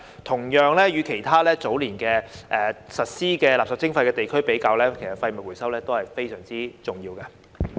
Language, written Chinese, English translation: Cantonese, 同樣，與其他早年已實施垃圾徵費的地區比較，其實廢物回收都是非常重要的。, Also compared with other regions where waste charging was already introduced years ago waste recovery is actually very important